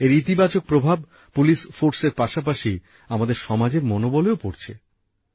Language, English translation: Bengali, The most positive effect of this is on the morale of our police force as well as society